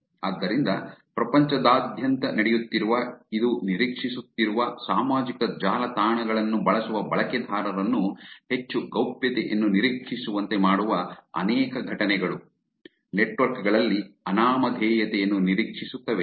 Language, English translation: Kannada, So, therefore many many incidences around the world, which are happening, which is expecting, which is making users who use social networks expect more privacy, expect anonymity in the networks